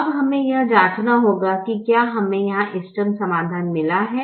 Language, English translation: Hindi, now we have to check whether we have got the optimum solution here